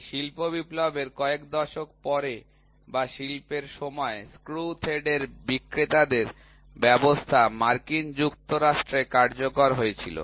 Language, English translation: Bengali, A couple of decades later after this industrial revolution or during the time of industrial, the sellers system of screw threads came into use in United States